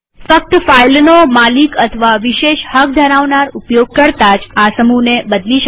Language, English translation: Gujarati, Only the owner of a file or a privileged user may change the group